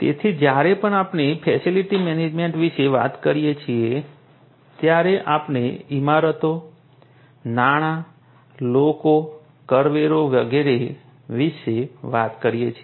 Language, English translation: Gujarati, So, whenever we are talking about facility management we are talking about buildings, finance, people, contracts and so on